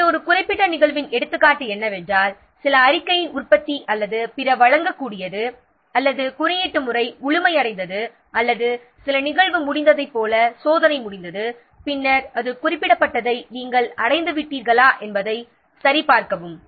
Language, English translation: Tamil, So, what could the example of particular event might be what the production of some report or other deliverable or what the coding is complete or testing is complete like that some event is completed, then you check whether you have achieved whatever it is mentioned in the schedule or not